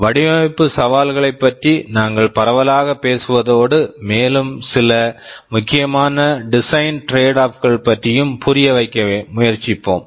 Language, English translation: Tamil, We shall broadly be talking about the design challenges, and we shall also be trying to understand some of the more important design tradeoffs